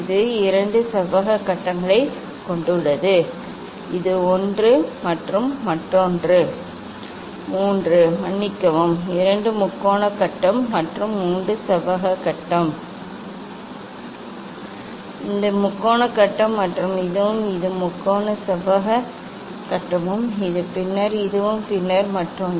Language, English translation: Tamil, it has two rectangular phase this and this one and three sorry two triangular phase and three rectangular phase This is triangular phase and this one also and this three rectangular phase this one then this and then other one